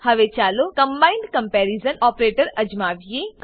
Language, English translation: Gujarati, Now lets try the combined comparision operator